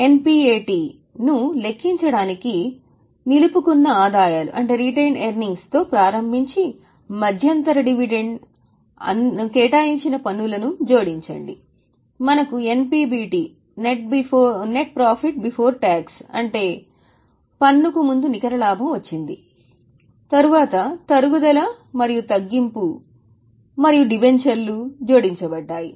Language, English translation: Telugu, Now to calculate NPAT we started with retained earnings, add interim dividend, add taxes provided, we got NPBT, then depreciation and discount and debentures was added